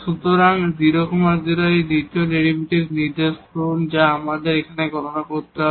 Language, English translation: Bengali, So, at 0 0 point this second derivative which we have to be computed here